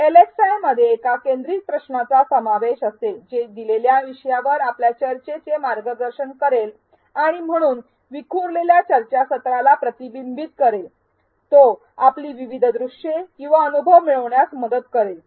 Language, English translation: Marathi, An LxI will consist of a focused question which will guide your discussion on a given topic and hence prevent scattered discussion threads, this will also help in eliciting your diverse views or experiences